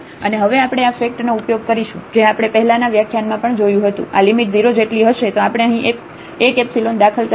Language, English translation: Gujarati, And now we will use the fact which we have also used in the previous lecture, that this limit equal to 0 then we can introduce one epsilon here